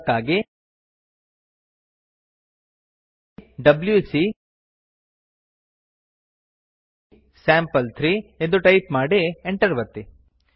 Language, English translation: Kannada, For that we would write wc sample3 and press enter